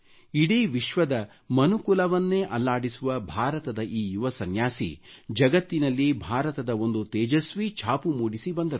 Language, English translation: Kannada, This young monk of India, who shook the conscience of the human race of the entire world, imparted onto this world a glorious identity of India